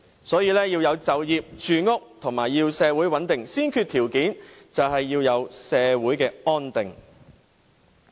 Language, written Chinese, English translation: Cantonese, 所以，要有就業、住屋，以及社會穩定，先決條件便是要有社會安定。, So social stability is the prerequisite for employment housing and social tranquillity